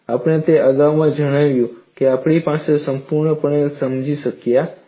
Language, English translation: Gujarati, We have stated that earlier, but we are not understood it completely